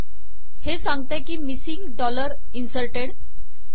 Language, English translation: Marathi, It comes and says, missing dollar inserted